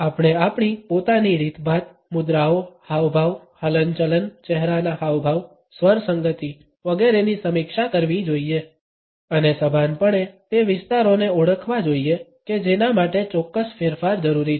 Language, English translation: Gujarati, We should review our own mannerism, postures, gestures, gait, facial expressions, tonality etcetera and consciously identify those areas which requires certain change